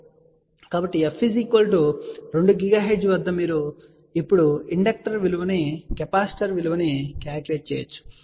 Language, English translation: Telugu, So, at f equal to 2 gigahertz you can now calculate the value of the inductor, the value of the capacitor